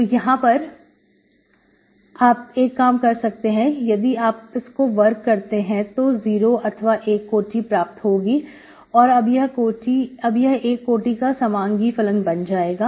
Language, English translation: Hindi, So you can have, if you make it square, 0 or 1 degree, it becomes homogeneous of degree one